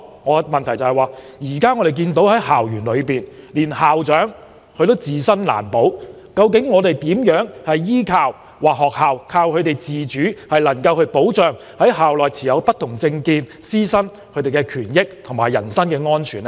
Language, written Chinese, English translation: Cantonese, 我的補充質詢是，我們看到，在校園內連校長也自身難保，院校如何依靠自主來保障校內持不同政見的師生的權益和人身安全？, My supplementary question is How can the institutions rely on its autonomy to protect the rights and interests as well as the personal safety of teachers and students with different political views when even the heads of institutions could not protect their own safety on campus?